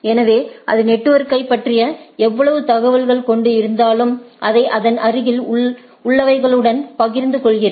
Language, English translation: Tamil, So, whatever it is having the knowledge about the whole network it share with its neighbor